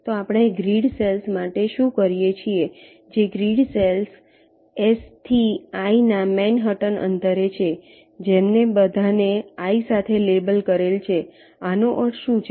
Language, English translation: Gujarati, the grid cells which are at an manhattan distance of i from the grid cell s are all labeled with i